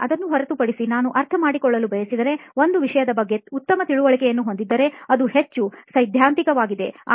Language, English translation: Kannada, But apart from that, if I want to understand, have a better understanding of a topic, it is more theoretical